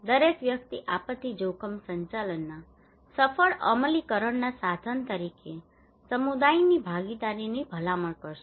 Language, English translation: Gujarati, Everybody would recommend you to have community participation as a tool to successful implementations of disaster risk management